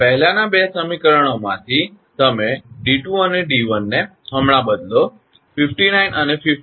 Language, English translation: Gujarati, Now, d 2 and d 1 from the previous two equations you substitute right; 59 and 58